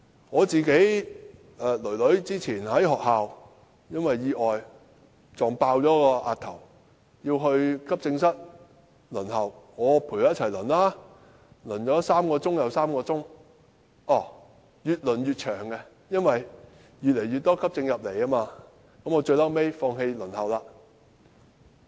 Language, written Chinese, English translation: Cantonese, 我女兒早前因為意外，在學校撞破額頭要到急症室輪候，我陪她一起等，等了3小時又3小時，越輪越長，因為越來越多急症送到醫院，最後我放棄輪候。, Some time ago my daughter had a cut in her forehead after a bump at school and had to seek treatment at the AE department so I accompanied her in the wait for treatment . We had waited for three hours and then another three hours yet the queue only grew longer as more and more emergency cases were sent to the hospital . In the end I gave up waiting